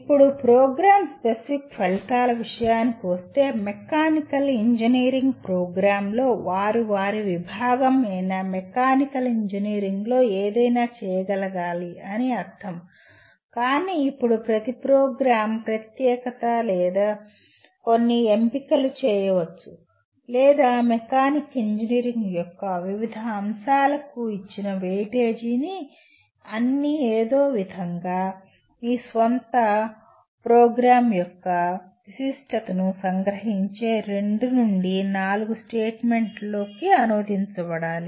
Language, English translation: Telugu, Now, coming to Program Specific Outcomes, after all mechanical engineering program would mean they should be able to do something in mechanical engineering in the discipline but then each program may specialize or make certain choices or the weightage given to different aspects of mechanical engineering and these all will have to somehow get translated into two to four statements which capture the specificity of your own program